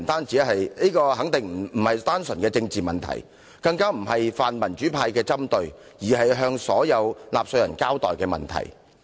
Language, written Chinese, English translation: Cantonese, 這肯定不是單純的政治問題，也不是泛民主派的針對，而是有必要向所有納稅人交代的問題。, This is definitely not a pure political issue nor is the pan - democracy camp targeting at her . This is an issue of which an account must be given to all taxpayers in Hong Kong